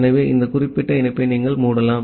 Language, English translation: Tamil, So, you can close this particular connection